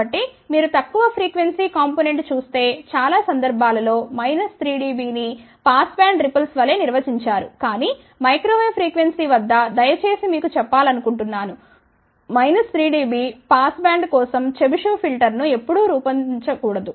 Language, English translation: Telugu, So, generally speaking if you look at the low frequency component most of the time they actually define minus 3 dB as pass band ripple, but I want to tell you please at microwave frequency never ever designed a Chebyshev filter for minus 3 dB pass band, ok